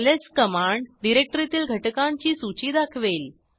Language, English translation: Marathi, ls command lists the directory content